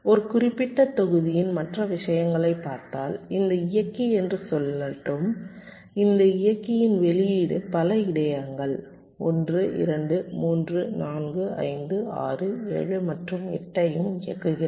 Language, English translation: Tamil, and the other thing is that if you look at a particular block, let say this driver, the output of this driver is driving so many buffers, one, two, three, four, five, six, seven and also itself eight